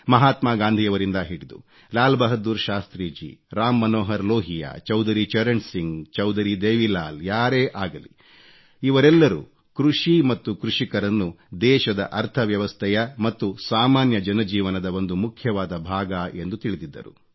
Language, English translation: Kannada, From Mahatma Gandhi to Shastri ji, Lohia ji, Chaudhari Charan Singh ji, Chaudhari Devi Lal ji they all recognized agriculture and the farmer as vital aspects of the nation's economy and also for the common man's life